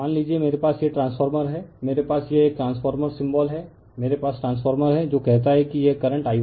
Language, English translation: Hindi, Suppose I have this suppose I have this transformer I have that this is a transformer symbol I have the transformer say this is my current I 1, right